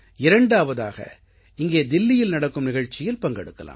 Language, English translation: Tamil, Alternatively, they can be part of the program being conducted here in Delhi